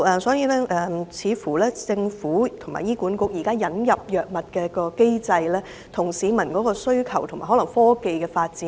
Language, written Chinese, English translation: Cantonese, 所以，政府及醫管局引入藥物的機制，似乎未能追上市民的需求及科技發展。, So there seems to be a time lag between the drug inclusion mechanism of the Government and HA to meet the needs of the people and catch up with advancements in technology